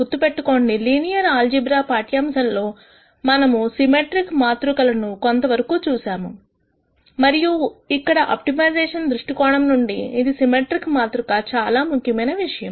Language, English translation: Telugu, Remember in the linear algebra lecture we said that we will be seeing symmetric matrices quite a bit and here is a symmetric matrix that is of importance from an optimization viewpoint